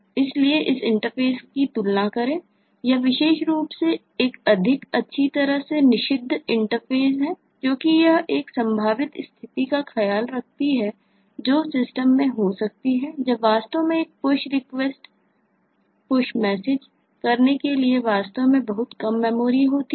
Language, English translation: Hindi, the later one is a more wellspecified interface because it takes care of a potential situation that can happen in the system when it actually has every low memory to make a push request/push message actually successful